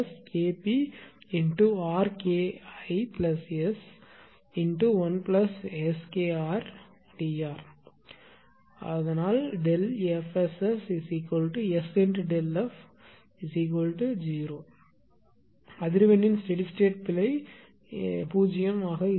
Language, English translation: Tamil, So, steady state error of the frequency will be 0